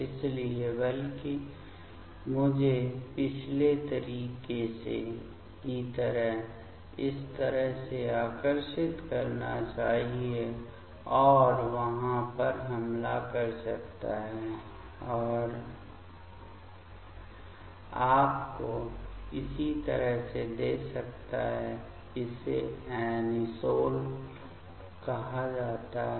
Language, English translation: Hindi, So, rather I should draw like this way like previous way and this can attack over there and give you the corresponding this is called anisole